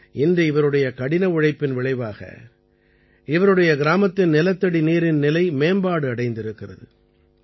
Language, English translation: Tamil, Today, the result of his hard work is that the ground water level in his village is improving